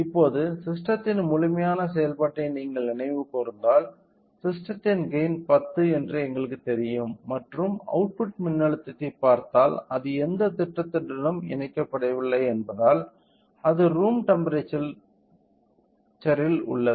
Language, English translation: Tamil, So, now, if you recall the complete working of the system we know that the gain of the system is 10 and by looking in to the output voltage if we understand, since it is not connected to the any plan right now which means that it is at room temperature